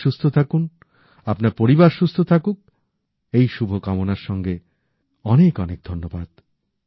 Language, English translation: Bengali, You stay healthy, your family stays healthy, with these wishes, I thank you all